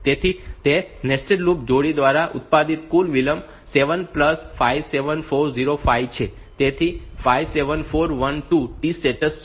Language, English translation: Gujarati, So, total delay produced by that nested loop pair is 7 plus this 57405; so 57412 T states